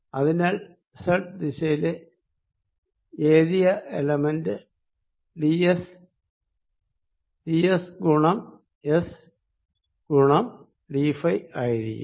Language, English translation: Malayalam, so d s, the area element in the z direction, is going to be d s, times s times d phi